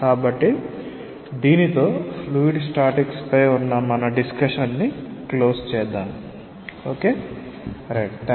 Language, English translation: Telugu, So, we close our discussion on fluid statics with this